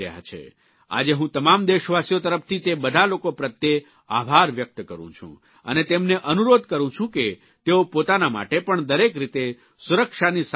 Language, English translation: Gujarati, On behalf of all countrymen, today I wish to express my gratitude to all these people, and request them, that they follow all the safety precautions, take care of themselves and their family members